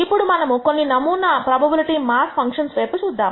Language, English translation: Telugu, Now, let us look at some sample probability mass functions